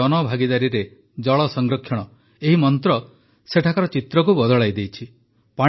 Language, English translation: Odia, Now this mantra of "Water conservation through public participation" has changed the picture there